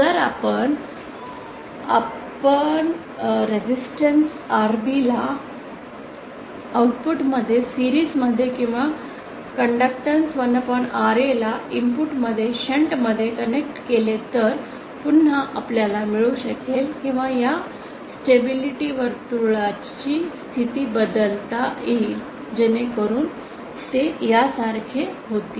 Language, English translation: Marathi, Then if we connect resistance Rb in series at the output or conductance 1 upon Ra in shunt at the input then again we can get or we can shift the positions of this stability circles, so that they become like this